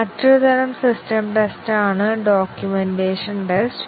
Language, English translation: Malayalam, One more type of system test is the documentation test